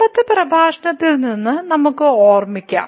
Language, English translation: Malayalam, So, let me just recall from the previous lecture